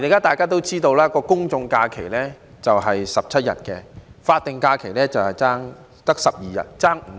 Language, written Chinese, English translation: Cantonese, 大家也知道，現時公眾假期是17天，法定假日只有12天，相差5天。, As Members will know at present there are 17 general holidays GHs and only 12 SHs representing a difference of five days